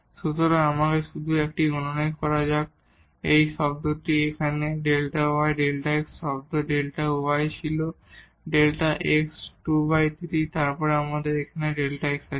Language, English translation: Bengali, So, let me just compute this one, this term here delta y over delta x term delta y was delta x two third and then we have delta x here